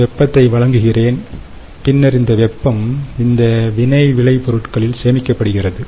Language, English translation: Tamil, i am supplying heat, and then this heat is kind of stored in these products